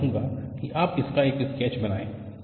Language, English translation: Hindi, I want you to make a sketch of it